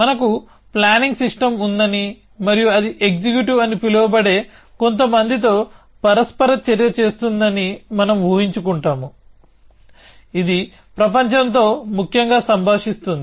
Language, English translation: Telugu, So, we imagine that we have a planning system and that interacts with some people call an executive, which interacts with the world essentially